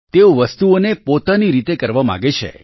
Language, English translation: Gujarati, They want to do things their own way